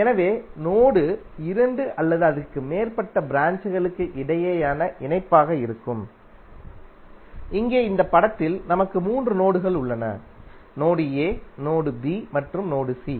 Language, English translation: Tamil, So node will be the connection between the two or more branches, Here in this figure we have three nodes, node a, node b and node c